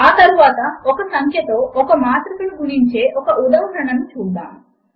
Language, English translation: Telugu, Next, let us see an example of multiplying a matrix by a number